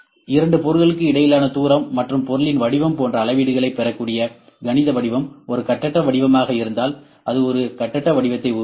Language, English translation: Tamil, When mathematical form that readings can be obtained like the distance between the two objects and the shape of the object if it is a free form it will create a free form